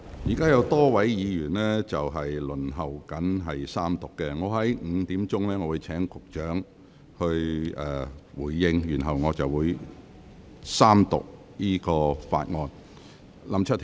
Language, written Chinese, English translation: Cantonese, 現時有多位議員輪候在三讀辯論發言，我會在下午5時請局長發言，然後將三讀議案付諸表決。, There are a number of Members waiting to speak in the Third Reading debate . I will call upon the Secretary to speak at 5col00 pm and the motion on the Third Reading shall then be voted on